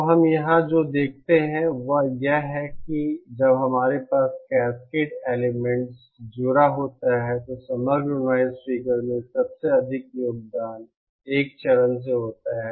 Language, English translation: Hindi, So what we see here is that when we have a cascade of elements connected, the highest noise contribution to the overall noise figure is from the 1st stage